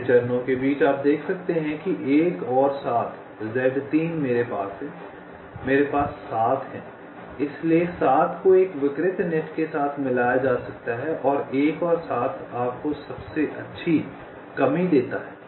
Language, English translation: Hindi, next step: you can see that one and seven, z three i have seven, so seven can be merged with one of the pervious nets, and one and seven gives you the best reduction, because this was your initial think